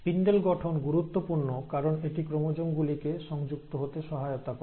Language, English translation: Bengali, And these spindle formation is important because it will allow and help the chromosomes to attach